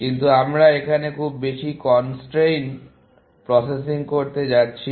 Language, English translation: Bengali, But we are not going to do too much of constraint processing, here